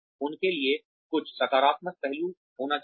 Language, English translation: Hindi, There should be some positive aspect to them